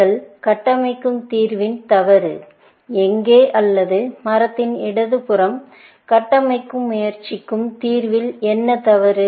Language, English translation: Tamil, the fault in the solution that you constructing, or what is wrong with the solution that the left side of the tree is trying to construct